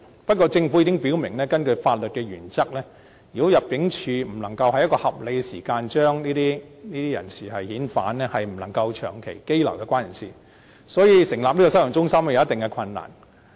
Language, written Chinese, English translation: Cantonese, 不過，政府已經表明，根據法律原則，如果入境處不能夠在一個合理時間內將這些人士遣返，則不能長期羈留有關人士，所以，成立收容中心，會有一定的困難。, Nevertheless the Government has indicated that according to legal principles if the Immigration Department cannot repatriate these people within a reasonable period of time the persons concerned must not be detained on a prolonged basis . That is why there will be a certain degree of difficulty in setting up detention centres